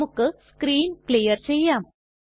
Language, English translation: Malayalam, Let us clear the screen